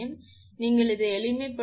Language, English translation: Tamil, So, if you simplify, it will become 1